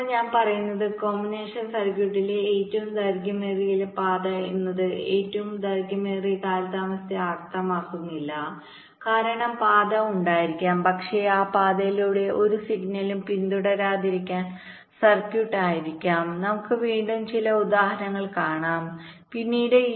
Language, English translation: Malayalam, now what i am saying is that the longest path in the combinational circuit need not necessarily mean the longest delay, because there are may be path, but the circuit may be such that no signal will follow through that path